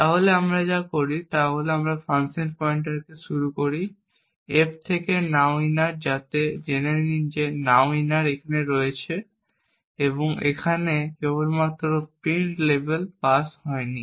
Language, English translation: Bengali, So then what we do is we initialize the function pointer in f to nowinner so know that nowinner is here and it simply prints level has not been passed